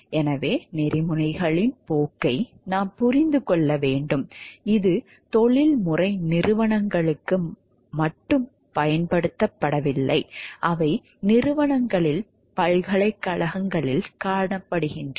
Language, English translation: Tamil, So, course of ethics we must understand it is not limited to professional organizations, they can be found in corporations, in universities